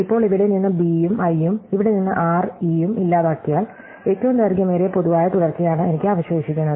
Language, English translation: Malayalam, So, now, in this if I deleted the b and i from here and the r and e from here, then I am left with exactly the longest common subsequence